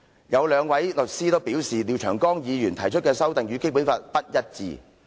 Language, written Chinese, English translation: Cantonese, 有兩名律師都表示，廖長江議員提出的修正案，與《基本法》不一致。, The two lawyers concerned asserted that Mr Martin LIAOs amendment was inconsistent with the Basic Law